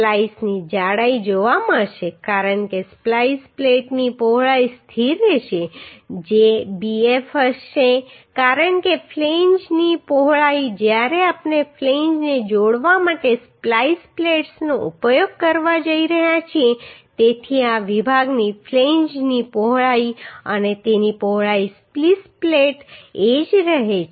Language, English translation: Gujarati, Thickness of splice will be found because the width of the splice plate will be constant that will be bf because width of the flange when we are going to use the splice plates to connect the flanges so the flange width of this section and width of the splice plate remain same